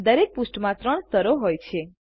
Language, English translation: Gujarati, There are three layers in each page